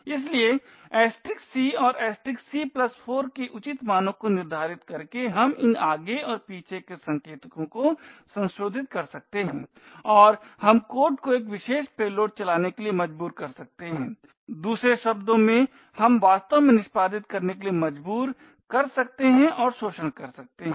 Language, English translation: Hindi, So by appropriately setting values of *c and *(c+4) we can modify these forward and back pointers and we could force the code to run a specific payload in other words we can actually force and exploit to execute